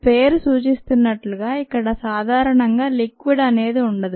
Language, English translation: Telugu, as a name indicates, there is typically no liquid here